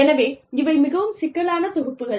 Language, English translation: Tamil, So, these are very complex programs